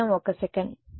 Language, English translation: Telugu, Just 1 second